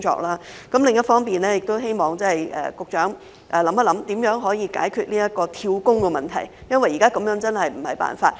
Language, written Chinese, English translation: Cantonese, 另一方面，亦希望局長研究如何解決"跳工"的問題，因為現時這樣真的不是辦法。, On the other hand it is also hoped that the Secretary will study how to tackle the problem of job - hopping because this is unacceptable